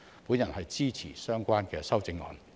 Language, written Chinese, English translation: Cantonese, 我支持相關修正案。, I support the relevant amendments